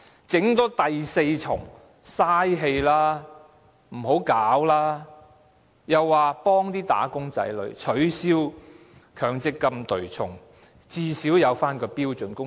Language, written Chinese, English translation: Cantonese, 政府又說要幫助"打工仔女"取消強積金對沖，最少設立標準工時。, The Government also says that it has to help the employees by abolishing the offsetting arrangement of the Mandatory Provident Fund and at least by setting standard working hours